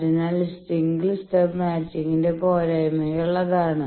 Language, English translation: Malayalam, So, that is the drawbacks of single stub matching